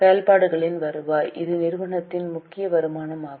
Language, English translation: Tamil, Revenue from operations, this is the main income for the company